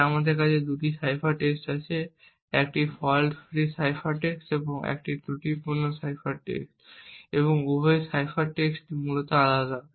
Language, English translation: Bengali, So we have two cipher text a fault free cipher text and a faulty cipher text and both the cipher text are essentially different